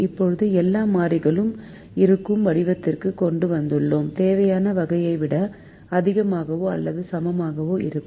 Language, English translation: Tamil, now we have brought it to the form where all the variables are of the required type, which is greater than or equal to type